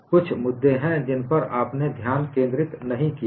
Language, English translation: Hindi, There are certain issues which you have not focused